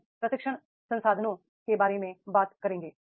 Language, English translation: Hindi, Then we will talk about the training resources